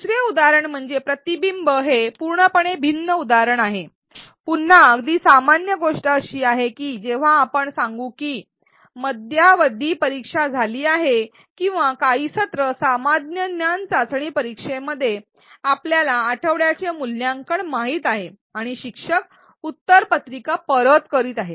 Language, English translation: Marathi, Another example is that of reflection it is a completely different example and again very common this is when let us say there has been a midterm exam or some in semester quiz you know weekly some assessment and the teacher is returning the answer papers